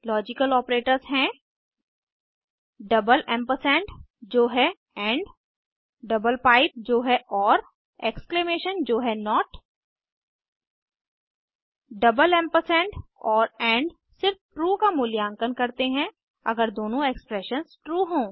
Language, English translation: Hindi, Logical Operators are, double ampersand () that is double pipe that is Exclamation (.) that is and and evaluate to true only if both the expressions are true